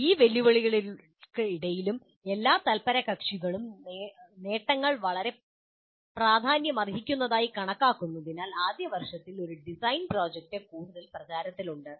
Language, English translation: Malayalam, Despite these challenges, a design project in first year is becoming increasingly popular as the advantages are considered to be very significant by all the stakeholders